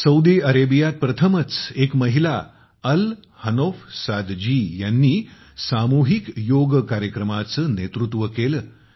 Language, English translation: Marathi, For the first time in Saudi Arabia, a woman, Al Hanouf Saad ji, led the common yoga protocol